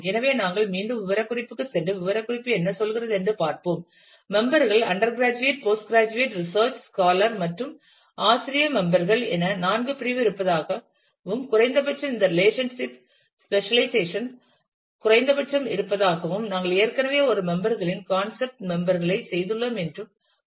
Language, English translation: Tamil, So, we again go back to the specification and see what the specification says; it said that there are four categories of members undergraduate, postgraduate, research scholar, and faculty members and least to the that least to the specialization of this relationship and we have already done a members concept members entity we did